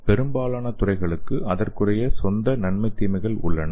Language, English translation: Tamil, So most of the fields have its own advantage as well as disadvantages